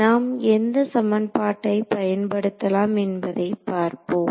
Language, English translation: Tamil, So, what is the let us see what is the equation that we can use